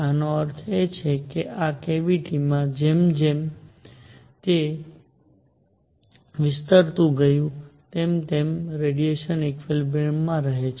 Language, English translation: Gujarati, This means in this cavity as it expands, the radiation remains at equilibrium